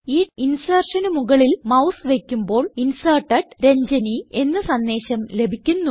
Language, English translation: Malayalam, Hovering the mouse over this insertion gives the message Inserted: Ranjani